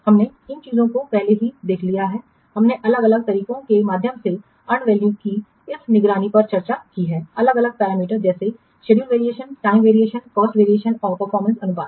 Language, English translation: Hindi, We have discussed this monitoring of value through different techniques, different parameters such as schedule variance, time variance, cost variance and performance ratios